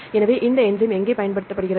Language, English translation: Tamil, So, where this enzyme is applied